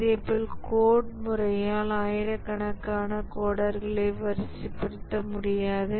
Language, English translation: Tamil, Similarly, coding, we cannot deploy thousands of coders